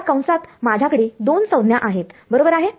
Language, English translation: Marathi, I have two terms right in this bracket